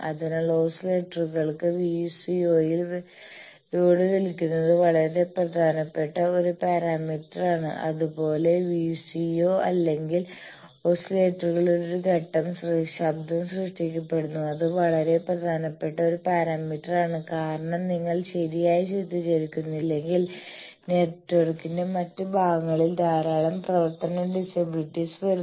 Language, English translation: Malayalam, So, load pulling in VCO is a very important parameter for oscillators, similarly in the VCO or oscillators there is a phase noise created that is also a very important parameter because if you do not characterize that properly lot of functional disability come for other parts of the network